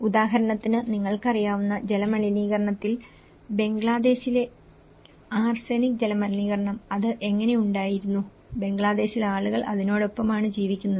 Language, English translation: Malayalam, There are also other things like for example, in the water contamination you know, the arsenic water contamination in Bangladesh, how it has been, people are very much prone in Bangladesh that they have been living with it